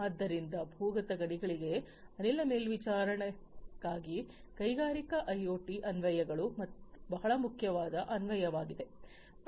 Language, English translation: Kannada, So, Industrial IoT applications for gas monitoring underground mines is very important application